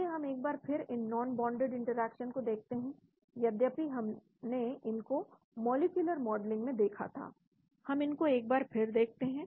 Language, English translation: Hindi, Let us once again look at these non bonded interactions, although we looked at them in molecular modeling once again we look at